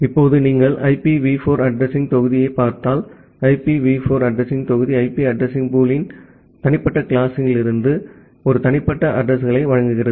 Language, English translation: Tamil, Now, if you look into the IPv4 address block; the IPv4 address block gives a private addresses from individual classes of IP address pool